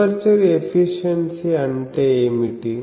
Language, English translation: Telugu, What is aperture efficiency